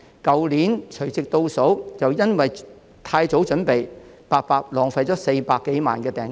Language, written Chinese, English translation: Cantonese, 去年的除夕倒數便因為太早準備，結果白白浪費了400多萬元訂金。, Precisely over 4 million down payment for the New Years Eve countdown event last year was wasted owing to excessively early preparation